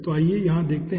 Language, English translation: Hindi, so let us see over here